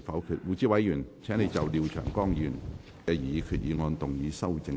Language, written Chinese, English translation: Cantonese, 胡志偉議員，請就廖長江議員的擬議決議案動議修訂議案。, Mr WU Chi - wai you may move your amending motion to Mr Martin LIAOs proposed resolution